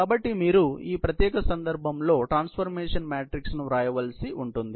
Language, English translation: Telugu, So, you will have to write the transformation matrix in this particular case